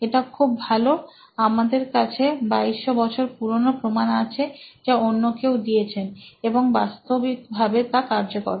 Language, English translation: Bengali, We have 2200 years ago evidence that somebody else had already come up with and this actually works